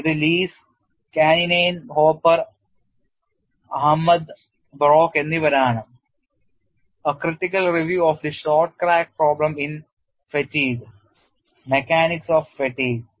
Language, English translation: Malayalam, This is by Leis, Kanninen, Hopper, Ahmad and Broek A critical review of the short crack problem in fatigue